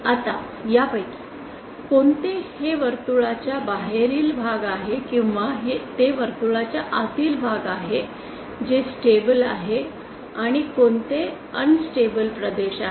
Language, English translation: Marathi, Now which one of this is it the outside of the circle or is it the inside of the circle, which is the stable and which is the unstable region